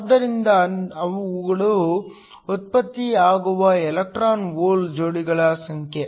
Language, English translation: Kannada, So, These are the number of electron hole pairs that are generated